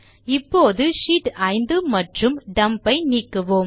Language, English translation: Tamil, Let us delete Sheets 5 and Dump